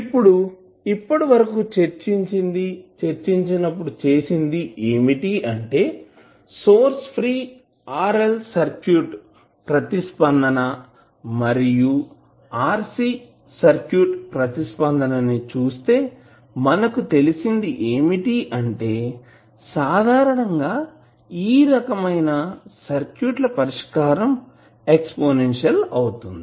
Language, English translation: Telugu, Now, if you see that the previous discussion what we did when we discussed about the source free response of rl circuit and rc circuit we came to know that typically the solution of these kind of circuits is exponential